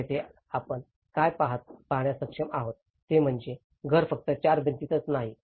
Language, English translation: Marathi, So here, what we are able to see is that it is not just the four walls which a house is all about